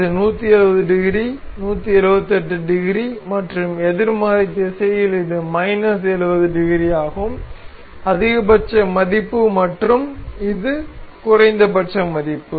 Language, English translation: Tamil, This is moving this completes 170 degree, 178 degrees and in the negative direction this is minus 70 degree; maximum value and this minimum value